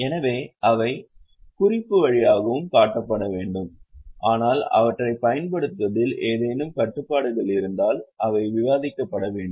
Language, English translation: Tamil, So, they should also be shown by way of note but if there are restrictions on use of them they should also be disclosed